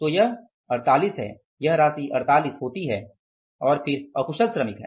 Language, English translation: Hindi, So, this is the 48, this amount works out as 48 and then is the unskilled